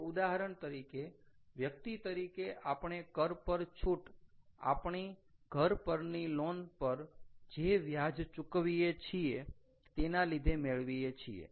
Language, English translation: Gujarati, so, for example, as individuals, we get, you know, a tax rebate because of interest that we pay on our housing loan